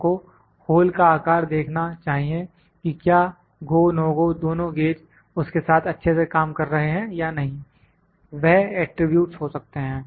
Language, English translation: Hindi, We need to see the hole size whether the GO/ NO GO gauges are both working properly with that or not so, this those can be attributes